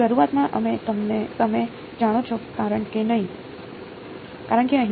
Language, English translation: Gujarati, Initially we you know because here